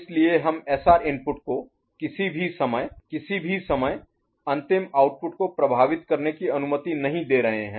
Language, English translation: Hindi, So, we are not allowing the SR input to affect the final output at any time at all the time